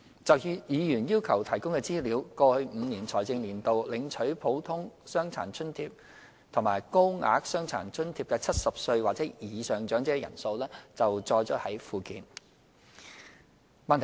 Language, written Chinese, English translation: Cantonese, 就議員要求提供的資料，過去5個財政年度領取"普通傷殘津貼"及"高額傷殘津貼"的70歲或以上長者人數載於附件。, In response to the Members request the number of Normal DA and Higher DA recipients aged 70 or above in the past five financial years is set out in the Annex